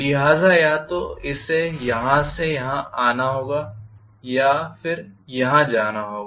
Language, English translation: Hindi, So either this has to come here or this has to go here